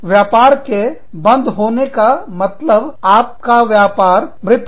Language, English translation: Hindi, Business closing down means, your business is dead